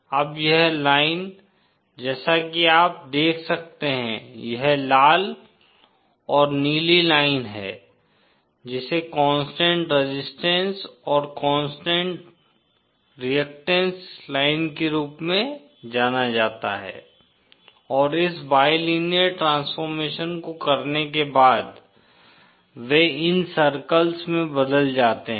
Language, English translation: Hindi, Now this line as you can see, this red and blue line is what is called as a constant resistance and constant a constant reactance line and upon doing this bilinear transformation, they are transformed to these circles